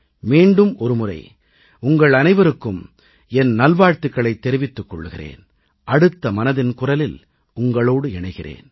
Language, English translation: Tamil, I extend my heartiest greetings to you all, until the next episode of 'Mann Ki Baat', when I shall share my thoughts with you once again